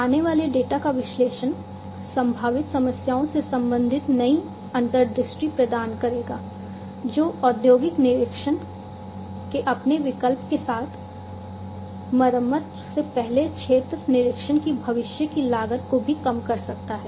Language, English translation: Hindi, Analysis of the incoming data will provide new insights relating to potential problems which can occur in the future cost of field inspection before repairing will also get reduced with their option of the industrial internet